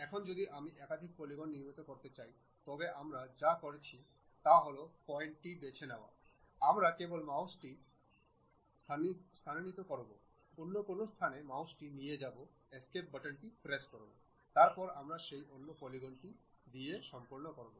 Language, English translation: Bengali, Now, if I would like to construct multiple polygons, what I have to do is pick the point, just move my mouse to some other location, press Escape button, then we we are done with that another polygon